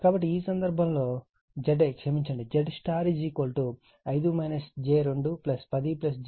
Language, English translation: Telugu, So, in this case your Zi sorry zy is equal to 5 minus j 2 plus 10 plus j 8 is 15 plus j 6 ohm